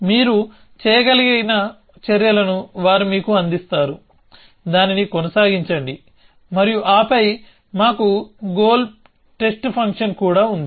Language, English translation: Telugu, They will give you what are the actions you can do, keep doing that and then we also have goal test function